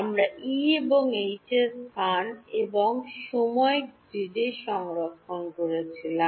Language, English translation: Bengali, We were storing the E’s and the H at space and time grids